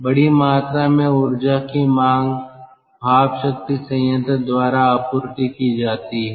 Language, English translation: Hindi, large amount of energy demand is supplied by steam power plant